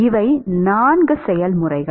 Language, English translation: Tamil, These are the 4 processes